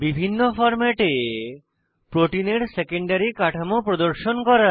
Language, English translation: Bengali, Here we see many more options to display secondary structure of protein